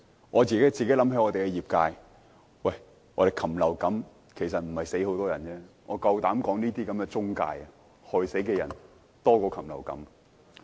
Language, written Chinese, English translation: Cantonese, 我想起我代表的業界，禽流感其實沒有導致很多人死亡，我敢說這些中介公司害死的人比禽流感多。, This reminded me of the industry represented by me . Actually avian flu has not caused many deaths . I dare say the number of deaths attributed to these intermediaries is greater than that caused by avian flu